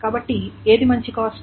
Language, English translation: Telugu, So which one is a better cost